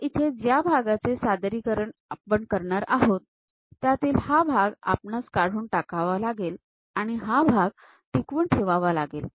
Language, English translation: Marathi, So, here that part we are representing; this part we want to remove and retain that part